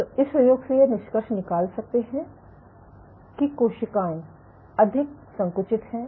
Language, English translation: Hindi, So, what you can conclude from this experiment is cells are more contractile